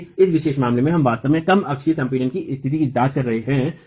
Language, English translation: Hindi, So, in this particular case we are really examining a situation of low axial compression